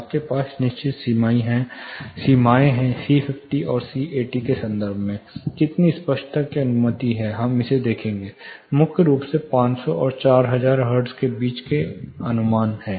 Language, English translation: Hindi, You have certain thresholds, how much clarity is allowed you know in terms of C50 and C80; we will look at it, primarily estimate between 500 and 400 hertz